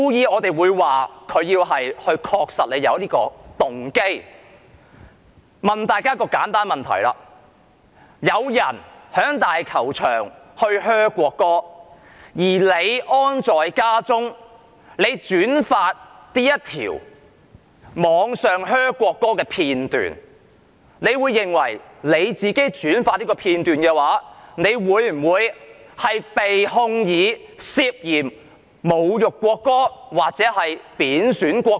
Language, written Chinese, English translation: Cantonese, 我想問大家一個簡單的問題：有市民在香港大球場噓國歌，而你安坐家中將這段噓國歌的片段在互聯網上轉發。你認為自己轉發這片段會否被控以侮辱國歌或貶損國歌？, I want to ask you a simple question If some members of the public booed the national anthem at the Hong Kong Stadium and you forwarded the video clip to others from your cozy home via the Internet do you think you will subsequently be prosecuted for insulting or being disrespectful to the national anthem?